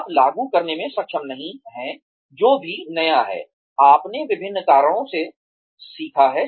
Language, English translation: Hindi, You are not able to implement, whatever new, you have learnt for various reasons